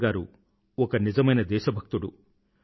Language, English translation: Telugu, Atalji was a true patriot